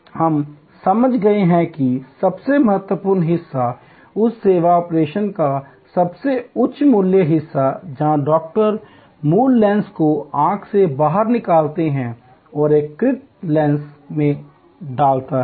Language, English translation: Hindi, we understood, that the most critical part , the most high value part of that service operation is, where the doctor lifts the original lens out of the eye and puts in an artificial lens